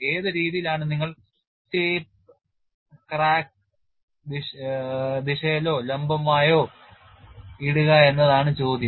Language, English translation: Malayalam, So, the question is which way you will put the tape along the crack direction or perpendicular to it